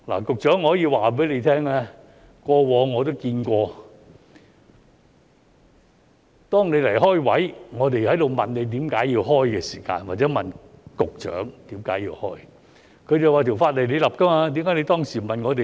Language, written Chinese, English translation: Cantonese, 局長，我可以告訴你，過往我也看到當你擬開設職位，我們問你為何要開設時，或者問局長為何要開設，他便表示："法例是你訂立的，為何你當時不問我們呢？, Secretary I can tell you when you sought to create posts in the past we asked you or the Secretary about the reasons and then he responded the law was passed by you so why had you not asked us back then?